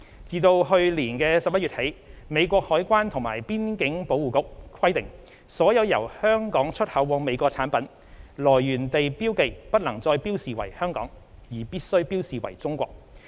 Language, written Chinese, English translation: Cantonese, 自去年11月起，美國海關及邊境保衞局規定，所有由香港出口往美國的產品，來源地標記不能再標示為"香港"，而必須標示為"中國"。, Since last November the US Customs and Border Protection has required that all imported goods produced in Hong Kong may no longer be marked to indicate Hong Kong as their origin but must be marked to indicate China